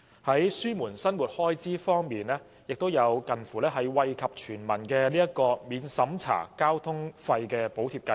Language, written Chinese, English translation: Cantonese, 在減輕生活開支方面，政府建議推出近乎惠及全民的《免入息審查的公共交通費用補貼計劃》。, On alleviating living expenses the Government proposed to introduce a non - means - tested Public Transport Fare Subsidy Scheme to benefit almost the entire community